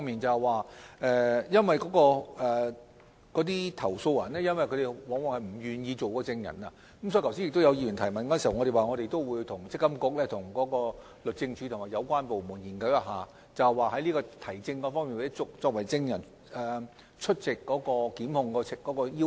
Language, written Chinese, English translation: Cantonese, 由於投訴人往往不願意出任證人，就議員剛才的提問，我們已表示會與積金局、律政司及有關部門進行研究，檢討舉證或證人出庭方面的要求。, As complainants are often unwilling to appear in court as witnesses in response to the question raised by the Member earlier on we have indicated that we would work with MPFA the Department of Justice and relevant departments to study and review the standard of proof and requirement for complainants to appear in court as witnesses